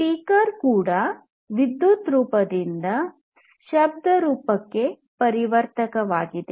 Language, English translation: Kannada, A speaker is also likewise a converter of energy from electrical form to sound